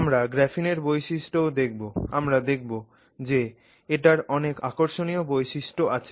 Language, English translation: Bengali, So, now let's look at some properties of graphene and some interesting aspects associated with graphene